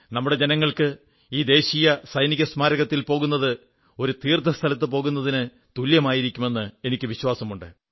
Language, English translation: Malayalam, I do believe that for our countrymen a visit to the National War Memorial will be akin to a pilgrimage to a holy place